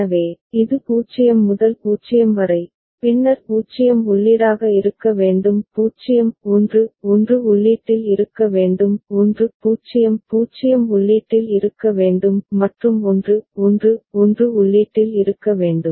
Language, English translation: Tamil, So, this is 0 to 0, then 0 should be input; 0 1 1 should be at the input; 1 0 0 should be at the input; and 1 1 1 should be at the input